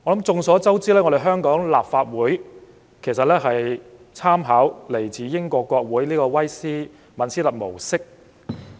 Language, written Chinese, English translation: Cantonese, 眾所周知，香港立法會參考英國國會的威斯敏斯特模式。, As we all know the Legislative Council of Hong Kong was modelled on the Westminster system of the British parliament